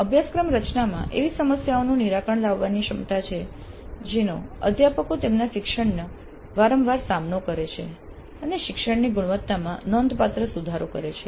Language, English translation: Gujarati, Course design has the greatest potential for solving the problems that faculty frequently faced in their teaching and improve the quality of learning significantly